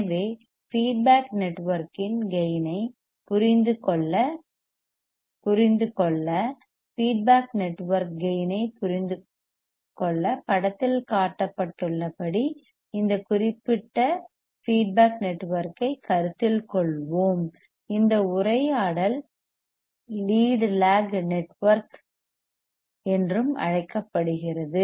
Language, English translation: Tamil, So, to understand the gain of the feedback network; to understand the gain of the feedback network let us consider this particular feedback network as shown in figure, this conversation is also called lead lag network lead lag network